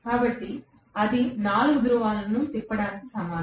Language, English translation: Telugu, So, that is equivalent to 4 poles being rotated